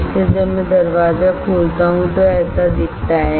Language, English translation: Hindi, So, when I open the door it looks like this